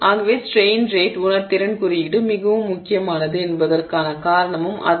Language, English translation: Tamil, So, that is the reason why the strain rate sensitivity index is very important and that is why this value of m, m greater than say 0